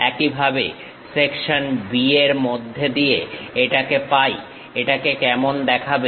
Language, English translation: Bengali, Similarly, section B if we are having it through this, how it looks like